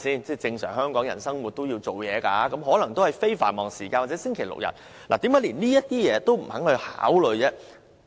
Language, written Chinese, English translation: Cantonese, 一般香港人都要上班，只可能在非繁忙時間或星期六、日才去遛狗，為何連這些提議也不肯考慮？, Normally Hong Kong people have to work and they can only walk their dogs during non - peak hours or on Saturdays and Sundays . Why cant MTRCL consider these suggestions?